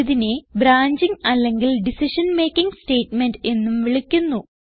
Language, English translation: Malayalam, It is also called as branching or decision making statement